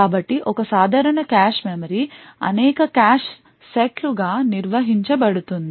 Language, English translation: Telugu, So, a typical cache memory is organized into several cache sets